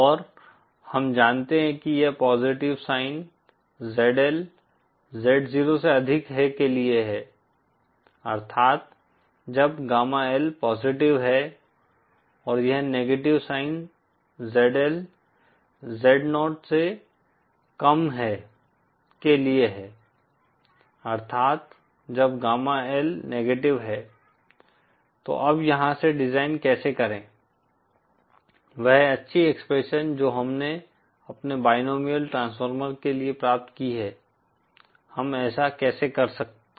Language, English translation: Hindi, And we know that this positive sign is for ZL greater than Z0 that is when gamma L is positive and this negative sign is for ZL lesser than Z0, that is when gamma L is negative, now how do from here to the design, the nice expressions that we have derived for our binomial transformer, how do we do that